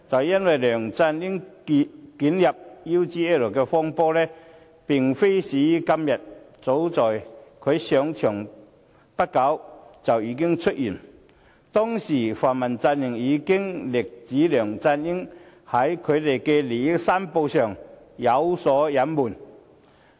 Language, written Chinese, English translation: Cantonese, 因為梁振英捲入 UGL 風波，並非始於今天，早在他上場後不久便已經出現，當時泛民陣營已經力指梁振英在利益申報上有所隱瞞。, It is because this is not the first day LEUNG Chun - ying gets embroiled in the UGL saga . It started long ago when he just took office as the Chief Executive . Back then the pan - democratic camp already made a strong claim about LEUNG Chun - ying failing to fully declare his interests